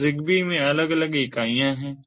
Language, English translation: Hindi, so in zigbee there are different entities